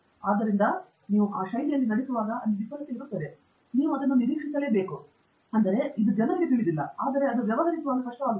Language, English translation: Kannada, So, when you are walking in that fashion there will be failure, and of course, you should expect that; I mean, this is not something unknown to people but dealing with that becomes hard